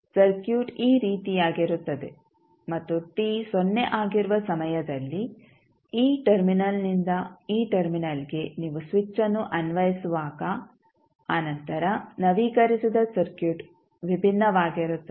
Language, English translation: Kannada, So, circuit would be like this and when at time t is equal to 0 when you apply the switch from this terminal to this terminal then the updated circuit would be different